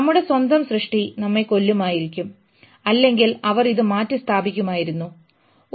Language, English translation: Malayalam, Our own creation would have either killed us or they would have replaced us